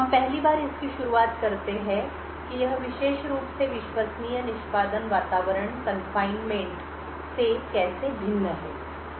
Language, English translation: Hindi, We first start of it is in how this particular Trusted Execution Environments is different from confinement